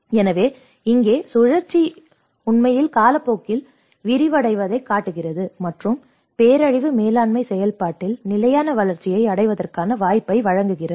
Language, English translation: Tamil, So, here the cycle actually shows the unfolding over time and offer the opportunity of achieving sustainable development in the disaster management process